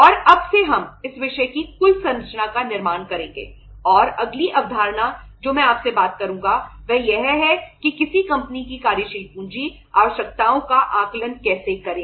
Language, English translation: Hindi, And from now onwards we will build up the say the total structure of this subject and next concept I will be talking to you is that how to assess the working capital requirements of a company